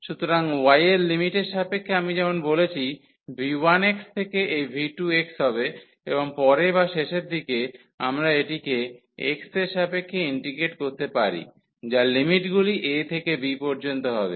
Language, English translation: Bengali, So, with respect to y the limits as I said will be from v 1 x to this v 2 x and later on or at the end we can integrate this with respect to x the limits will be from a to b